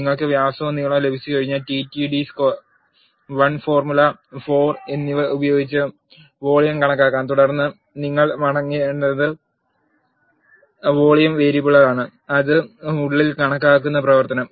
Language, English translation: Malayalam, Once you have diameter and length you can calculate the volume by the formula pi d square l by 4 then what you need to return is the volume variable that is calculated inside the function